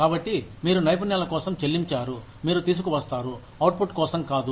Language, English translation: Telugu, So, you are paid for the skills, you bring, not for the output